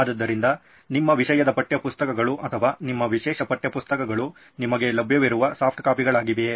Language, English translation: Kannada, So do you have your subject textbooks or your specialisation textbooks as softcopies available to you